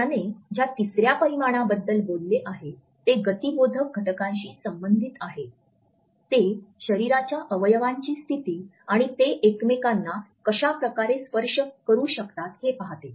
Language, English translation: Marathi, The third dimension he has talked about is related with the kinesthetic factors, it looks at the positioning of body parts and different ways in which these body parts can touch each other